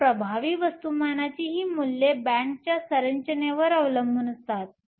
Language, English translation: Marathi, So, these values of the effective mass depend upon the band structure fine